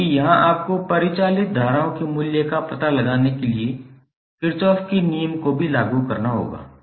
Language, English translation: Hindi, Because here also you have to apply the Kirchhoff's law to find out the value of circulating currents